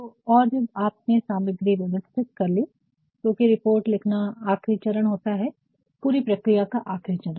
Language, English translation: Hindi, So, organizing the material and then when you have organized the material, because writing the report is the last step of it, last step of the entire process